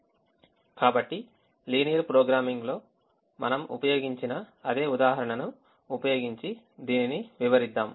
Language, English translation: Telugu, so let us explain this by using the same example that we have used in linear programming